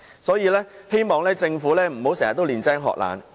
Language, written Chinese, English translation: Cantonese, 因此，我希望政府不要經常"練精學懶"。, Hence I hope the Government will not always find the easy way out and cut corners